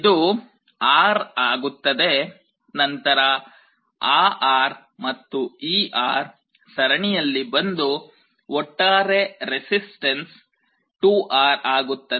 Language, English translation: Kannada, This becomes R, then that R and this R will come in series and the net resistance will again become 2R